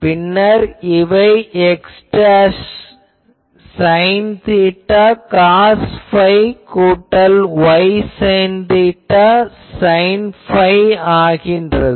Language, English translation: Tamil, So, these becomes x dashed sine theta cos phi plus y dashed sine theta sine phi